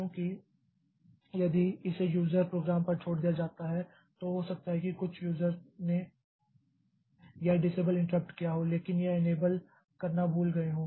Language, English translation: Hindi, Because if it is left to the user program then some user may be may have done this disabled interrupt but forgot to do this enable interrupt